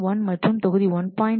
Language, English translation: Tamil, 2 and module 1